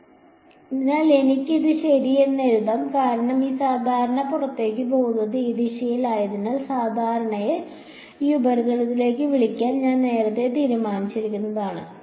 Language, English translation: Malayalam, So, I can write this as ok, and only reason is because I had earlier decided to call the normal to this surface as this normal going outward is in this direction